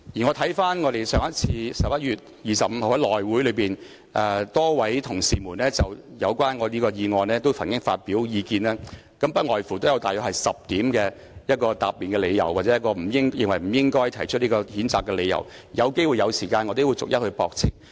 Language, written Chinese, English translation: Cantonese, 我留意到在11月25日的內務委員會會議上，多位同事曾就我這項議案發表意見，不外乎約有10點答辯理由或認為不應提出譴責的理由，當我有機會和時間時亦會逐一駁斥。, I notice that at the meeting of the House Committee held on 25 November a number of Members expressed views on my motion . In general they put forward about 10 arguments of defence or reasons why censure should not be made . When I have the opportunity and time I will also refute them one by one